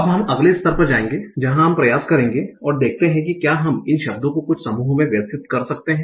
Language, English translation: Hindi, Now we will go to the next label where we will try to see can we arrange these words in certain groups